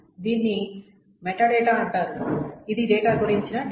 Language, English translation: Telugu, So the term for that is called metadata